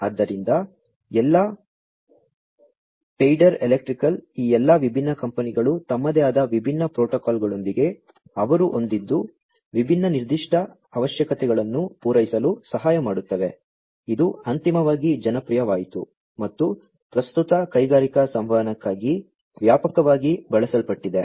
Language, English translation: Kannada, So, all Schneider electric all of these different companies came up with their own different protocols to you know help with satisfying the different specific requirements that they had, which you know eventually became popular got standardized and being widely used for industrial communication at present